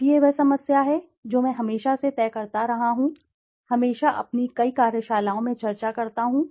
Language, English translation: Hindi, Now this is the problem which I have been always dictating, always discussing in many of my workshops